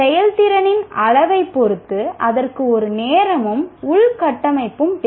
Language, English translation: Tamil, Depending on the measure of performance, there is a time and infrastructure that is required for it